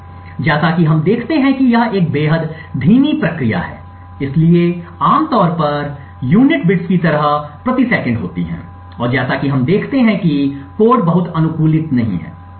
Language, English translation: Hindi, So, over here as we see it is an extremely slow process, so typically the units would be something like bits per second and as we see over here the code is not very optimised